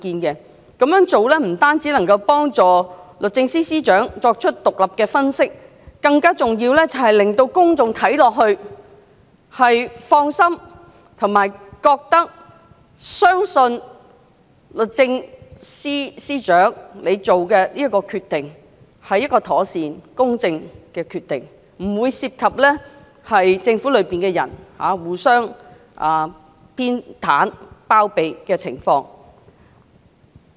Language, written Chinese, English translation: Cantonese, 這樣做不單有助司長作出獨立的分析，更重要的，是令公眾感到放心及相信律政司司長所作出的決定妥善公正，不涉及政府內部互相偏袒及包庇的情況。, Not only will this help the Secretary to conduct an independent analysis more importantly it will help reassure members of the public that the decision made by the Secretary is impartial and proper and no mutual partialityharbouring within the Government is involved